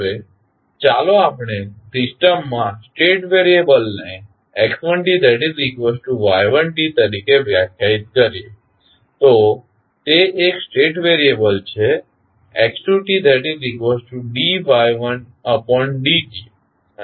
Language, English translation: Gujarati, Now, let us define the state variables in the system as x1 is equal to y1, so that is one state variable, x2 is dy1 by dt and x3 is y2